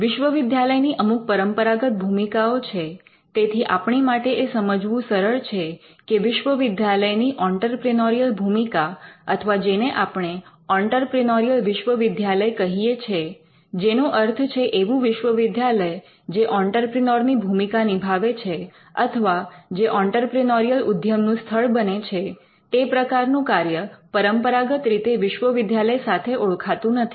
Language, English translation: Gujarati, The Entrepreneurial University; universities traditionally started with certain functions and it is clear for us to understand that the entrepreneurial function of a university or what we call an entrepreneurial university by which we mean university discharging the role of an entrepreneur or the university becoming a source or a ground for entrepreneurial activity was not traditionally there